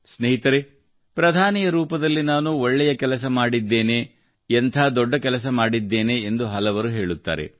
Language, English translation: Kannada, Friends, many people say that as Prime Minister I did a certain good work, or some other great work